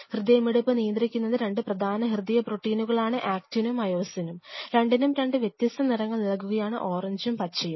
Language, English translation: Malayalam, These beatings are governed by the two major proteins of muscle, which are now let me put them in those are actin and myosin which I am putting in two different color orange and green